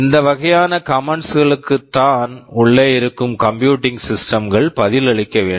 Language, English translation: Tamil, These are the kind of commands that those computing machines inside are responsible to respond to